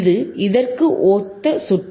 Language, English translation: Tamil, iIt is exactly similar circuit